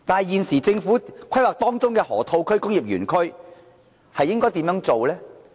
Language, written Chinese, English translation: Cantonese, 可是，政府現時規劃的河套區、工業園區又該怎樣做呢？, However how about the Lok Ma Chau Loop and industrial parks under planning at the moment?